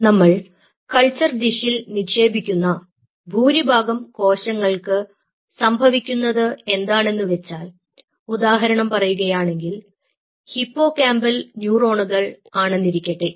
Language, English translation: Malayalam, and what happens is that most of these cells which we put on the culture dish say, for example, you take out these hippocampal neurons